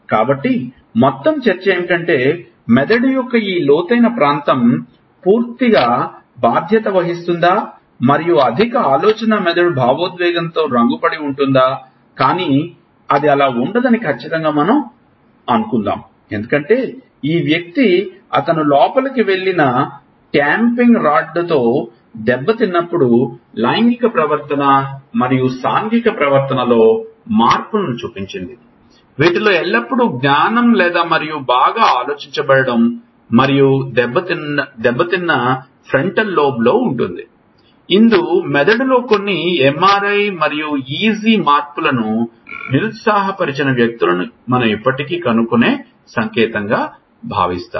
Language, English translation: Telugu, So, the whole debate is whether, this deeper area of brain is totally responsible and the higher thinking brain is not colored by emotion, but we are sure it is not so because, when this person was damaged with the tamping rod which went in he showed changes in sexual behavior and social behavior lot of which is not always cognition and well thought of and damage was in the frontal lobe that was probably a sign we still find people who have depressed some MRI and EG changes in the, in the brain